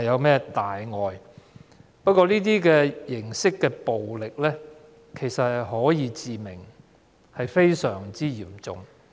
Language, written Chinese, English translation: Cantonese, 不過，這種形式的暴力其實可以致命，是非常嚴重的。, However this form of violence is actually fatal and very serious